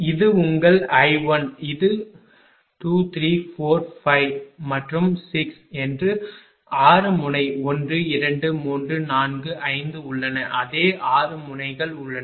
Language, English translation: Tamil, Suppose, this is your 1 this is 2, 3, 4, 5 and 6 there are 6 node 1, 2, 3, 4, 5 the same 6 nodes are there